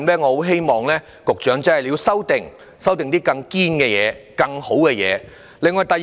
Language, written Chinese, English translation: Cantonese, 我希望局長在修訂中提出一套更理想的做法。, I hope the Secretary will propose a better practice in the legislative amendment exercise